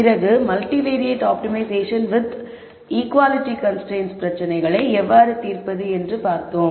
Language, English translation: Tamil, Then we saw how to solve multivariate optimization problems with equality constraints